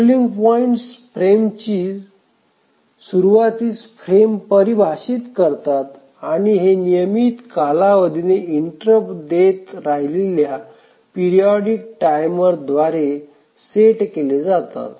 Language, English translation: Marathi, So, the scheduling points define the frames, the beginning of the frames and these are set by a periodic timer which keeps on giving interrupts at regular intervals